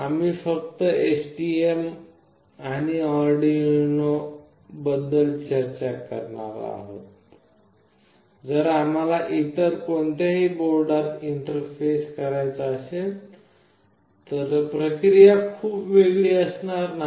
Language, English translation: Marathi, As we will be only discussing about STM board and Arduino UNO, if you want to interface any other board the process will not be very different